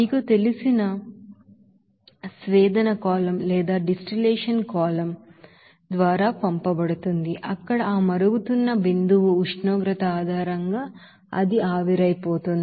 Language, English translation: Telugu, It will be you know, passed through that you know, distillation column where it will be evaporated based on that boiling point temperature